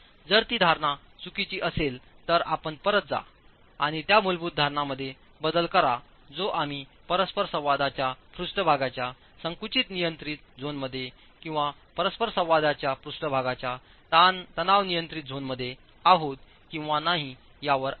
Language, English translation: Marathi, If that assumption is incorrect then you go back and make a change that basic assumption which is on whether we are in the compression control zone of the interaction surface or in the tension control zone of the interaction surface